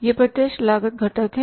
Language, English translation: Hindi, These are the elements of the cost